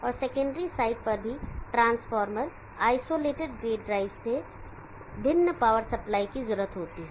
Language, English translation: Hindi, And on the secondary side also there is a power supply requirement unlike the transformer isolated gate drive